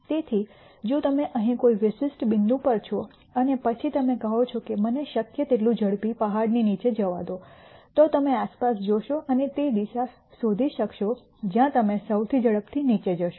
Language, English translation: Gujarati, So, if you are at a particular point here and then you say look let me go to the bottom of the hill as fast as possible, then you would look around and nd the direction where you will go down the fastest